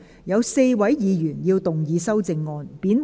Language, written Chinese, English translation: Cantonese, 有4位議員要動議修正案。, Four Members will move amendments to this motion